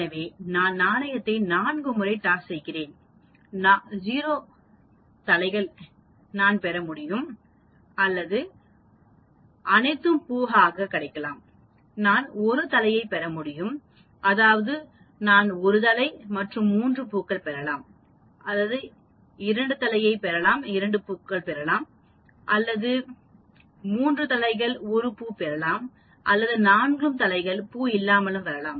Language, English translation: Tamil, So, I toss the coin 4 times, I can get 0 heads that means all of them become tail, I can get 1 head that means I can get 1 head and 3 tails, I can get 2 that means 2 heads and 2 tails, I can get 3 heads and 1 tail or 4 heads and no tail